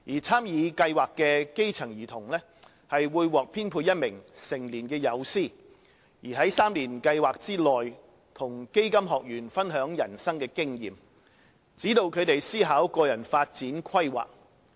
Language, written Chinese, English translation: Cantonese, 參與計劃的基層兒童會獲編配一名成年友師，在3年計劃內與基金學員分享人生經驗，指導他們思考個人發展規劃。, Every grass - roots child participating in a project will be matched with a mentor who will throughout the three - year project share with the participant his or her life experience and provide guidance to the participant in drawing up the personal development plan